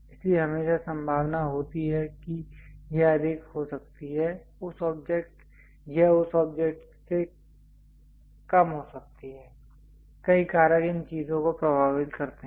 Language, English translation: Hindi, So, things there is always chance that it might be excess it might be low of that object, many factors influence these things